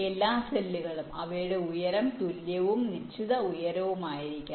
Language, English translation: Malayalam, each cells must have the same height all this cells